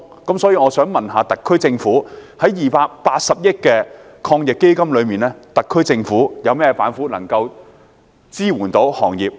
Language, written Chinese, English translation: Cantonese, 因此，我想問在280億元的防疫抗疫基金中，特區政府有何板斧能夠支援漁農業？, Therefore may I ask the SAR Government what tactics will be employed to use the 28 billion Fund to support the agriculture and fisheries industry?